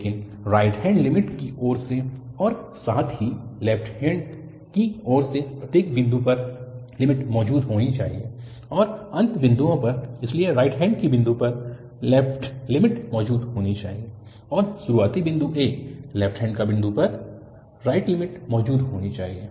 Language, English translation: Hindi, But, the limit at each point from the right hand side as well as from the left hand side should exist and at the end points, so at the right hand point, the left limit should exist and at the beginning point a, the right limit should exist